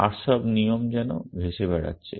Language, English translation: Bengali, And all the rules are kind of floating around